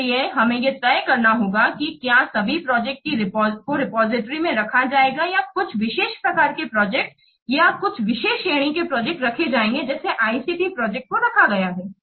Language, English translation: Hindi, So, we have to decide that whether all the projects will be placed in the repository or some special kind of projects or some special category projects like ICD projects will be kept